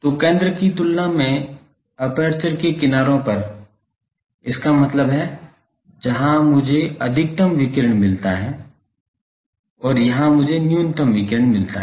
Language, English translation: Hindi, So, compared to the centre the edges of the aperture; that means, here I get maximum radiation and here I get minimum radiation